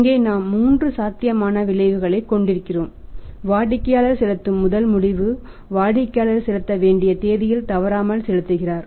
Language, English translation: Tamil, And here we have three outcomes we can say that there can be possible three outcomes first outcome with customer customer pays promptly on the due date customer pays when the it comes due date customer pays promptly